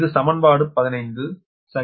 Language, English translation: Tamil, this is equation fifteen, right